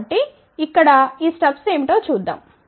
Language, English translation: Telugu, So, let see what are these steps here